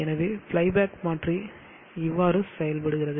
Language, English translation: Tamil, So that is how the fly back converter works